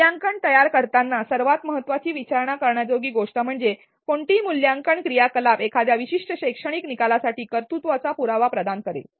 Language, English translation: Marathi, While designing assessment, the most important thing to ask is which assessment activity would provide evidence of achievement for a particular learning outcome and how do you do that